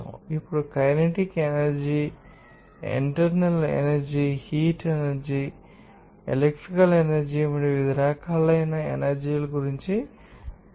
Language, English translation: Telugu, Now, we have truly described regarding that, different forms of energy like kinetic energy potential energy, internal energy, heat energy, electrical energy all those